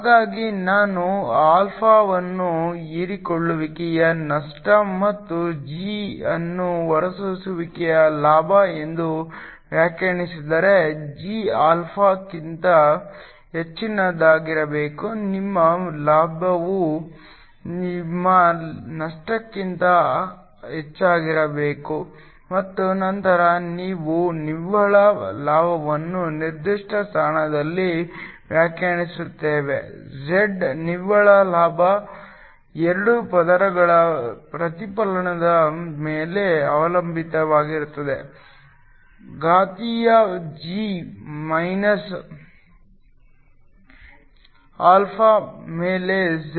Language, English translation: Kannada, So, If I define alpha as a loss due to absorption and g as the gain due to emission, g must be greater than alpha your gain must be more than your loss and then we define the net gain at a particular position z the net gain depends upon the reflectivity of the 2 layers times exponential g minus alpha over z